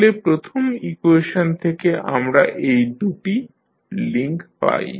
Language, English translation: Bengali, So, we use this equation and find out the links